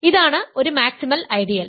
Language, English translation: Malayalam, So, it is a maximal ideal